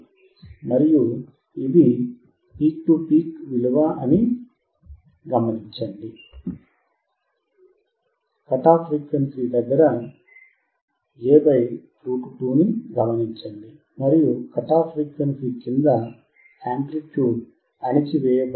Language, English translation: Telugu, And note down it is peak to peak value, we can observe that at a frequency cut off (A / √2), and below the cut off amplitude is suppressed